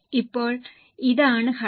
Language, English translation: Malayalam, Now this is the structure